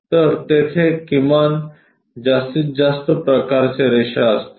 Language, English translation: Marathi, So, there will be minimum, maximum kind of lines